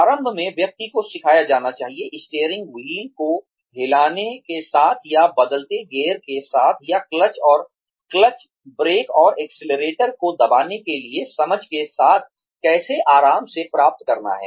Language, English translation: Hindi, Initially, the person needs to be taught, how to get comfortable, with moving the steering wheel, or with changing gears, or with understanding when to press the clutch, brake, and accelerator